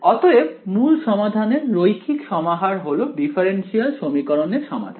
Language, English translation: Bengali, So, linear combinations of the original solutions are still solutions to the differential equation right